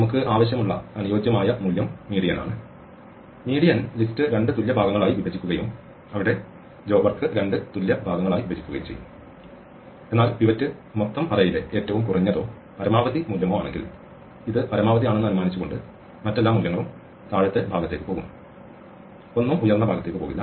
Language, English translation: Malayalam, The ideal value we want is median, the median would split the list into two equal parts and there by divide the work into two equal parts, but if the pivot happens to be either the minimum or the maximum value in the overall array, then supposing it is the maximum then every other value will go into the lower part and nothing will go into higher part